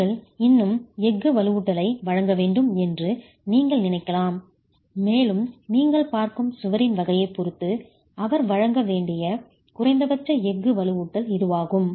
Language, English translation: Tamil, You might still, you would still have to provide steel reinforcement and that's the minimum steel reinforcement that you'll have to provide depending on the type of wall that you're looking at